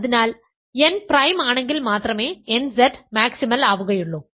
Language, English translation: Malayalam, So, nZ is maximal if and only if n is prime